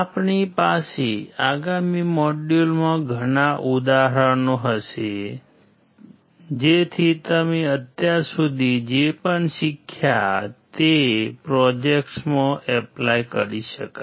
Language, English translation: Gujarati, We will have several examples in the next module so that whatever you have learnt so far can be implemented in projects